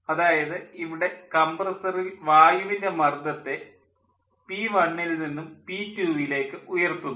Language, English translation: Malayalam, lets go back to the previous, this one, that in the compressor the air pressure is raised from p one to p two